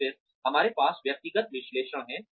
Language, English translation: Hindi, And then, we have individual analysis